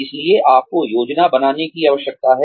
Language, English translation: Hindi, So, you need to plan